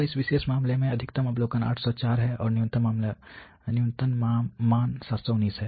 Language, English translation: Hindi, So, in this particular case the maximum observation is 804, and the minimum value is 719